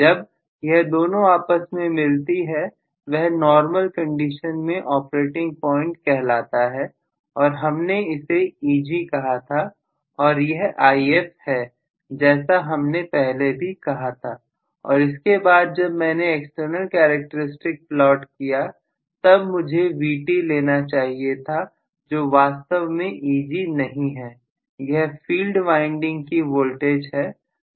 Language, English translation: Hindi, So, both of them wherever they interested we called this as the operating point under normal condition and we said this is Eg, so this is going to be Eg, and this is If, this is what we had said and then when I plotted external characteristic I should have taken the vt which is actually not Eg it is the voltage across the field winding, so what we plotted yesterday was internal characteristics, that is known as internal characteristics